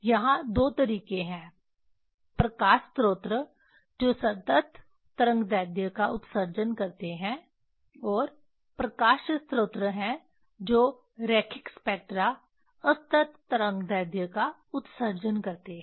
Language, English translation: Hindi, There are two ways this light source that emit continuous wavelength and there are light source that emits line spectra discrete wavelength